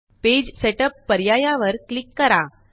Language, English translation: Marathi, Click Page Setup option